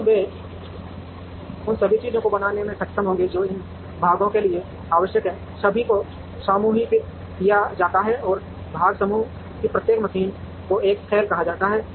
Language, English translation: Hindi, But, they will be capable of making everything required for these parts are all grouped, and each machine in part group is called a cell